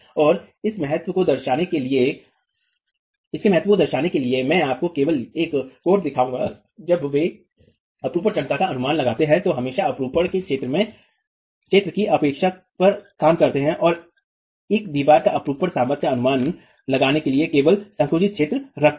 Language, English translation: Hindi, And to reflect the importance of it, I'll just show you that codes when they look at estimating the shear capacity always work on, always work on neglecting the zone in tension and keep only the compressed zone to estimate the shear strength of a wall